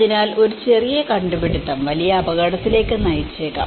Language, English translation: Malayalam, So, a small invention can lead to a bigger risk